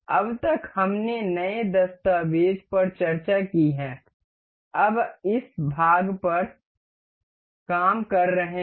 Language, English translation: Hindi, Up till now we have discussed the new document, we were we have been working on this part